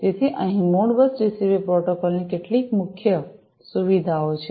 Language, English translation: Gujarati, So, here are some of the salient features of the Modbus TCP protocol